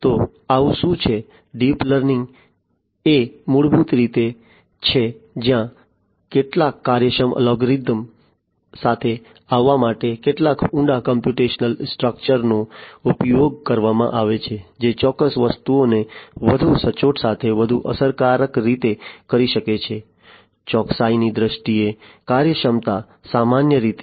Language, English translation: Gujarati, So, what is you know so, deep learning is basically where some deep computational structures are used to come up with some efficient algorithms which can do certain things much more efficiently with grater greater accuracy; efficiency in terms of accuracy, typically